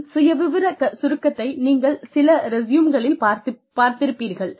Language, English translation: Tamil, And, a profile summary is, you must have seen this, in some resumes